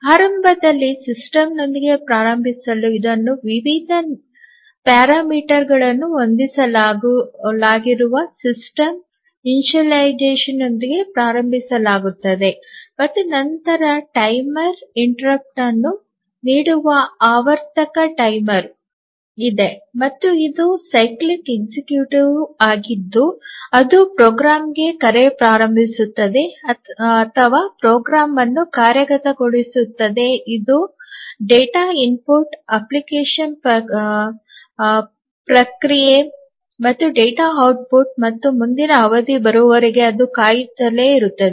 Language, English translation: Kannada, So, here initially to start with the system is started with a system initialization where various parameters are set and then there is a periodic timer which gives timer interrupt and it is a cyclic executive which starts a call to a program or executes a program where initially there is a data input application processing and and then data output, and then it keeps on waiting until the next period comes